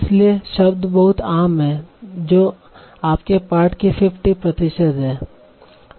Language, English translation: Hindi, They account for roughly 50% of your text